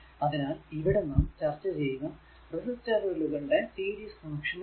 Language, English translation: Malayalam, So, in this lecture we will discuss that series connection of the resistor